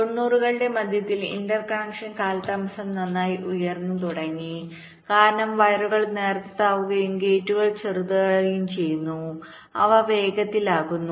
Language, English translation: Malayalam, but in the mid nineties the interconnection delays, well, they started to go up because the wires become thinner and also the gates become smaller, they become faster